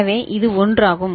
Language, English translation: Tamil, So, this is the one